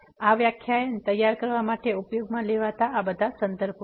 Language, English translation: Gujarati, These are the references used for preparing these this lecture and